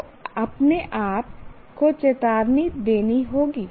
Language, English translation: Hindi, So, one has to warn himself or herself